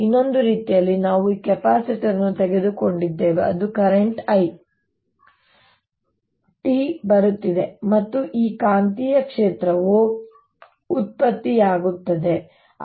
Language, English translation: Kannada, the other way was we took this capacitor in which this current i t was coming in and there was this magnetic field being produced